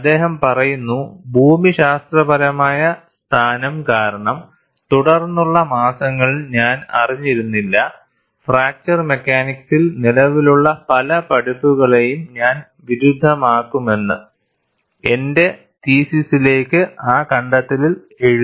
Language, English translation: Malayalam, He says, because of the geographic location, I was not aware, during the ensuing months, during which I wrote up the discovery into my thesis, that I was going to contradict many of the existing teachings in fracture mechanics